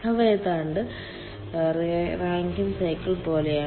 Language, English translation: Malayalam, they are almost like rankine cycle